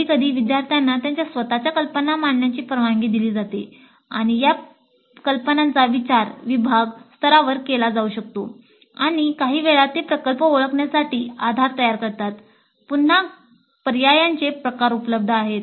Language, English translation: Marathi, Sometimes students are allowed to present their own ideas and these ideas can be considered at the department level and sometimes they will form the basis for identifying the projects